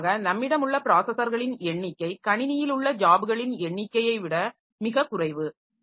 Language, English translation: Tamil, So, definitely number of processors that we have is much less than the number of jobs that we have in the system